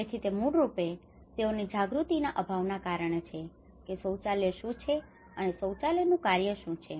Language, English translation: Gujarati, It is basically their lack of awareness on what a toilet is and what how a toilet functions